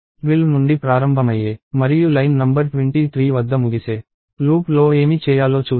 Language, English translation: Telugu, So, let us see what the loops starting at 12 and ending at line number 23 is supposed to do